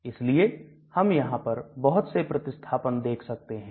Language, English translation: Hindi, So we can have different substitutions